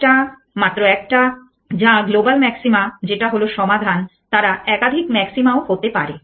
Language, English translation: Bengali, One only one which is the global maxima which is the solution, they may be more than one maxima